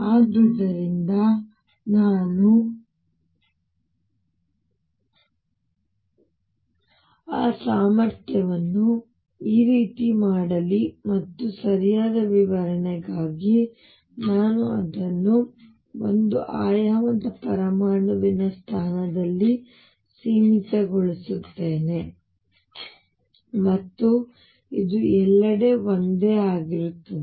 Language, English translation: Kannada, So, let me make that potential like this and let us say for proper description I make it finite at the position of the one dimensional atom and this repeats is the same everywhere